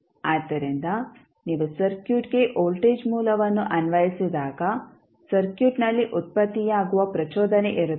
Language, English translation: Kannada, So, when you apply a voltage source to a circuit there would be a sudden impulse which would be generated in the circuit